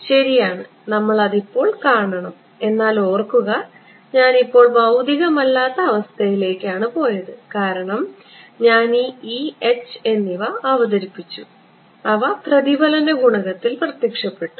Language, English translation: Malayalam, Right so, we have to see that right, but remember I mean this is now we have gone to a non physical situation because I have introduced these e ones and h ones right so, and they have made an appearance in the reflection coefficient